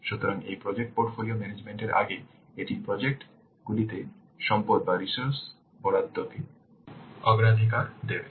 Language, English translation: Bengali, So, it will prior this project portfolio management, it will prioritize the allocation of resources to projects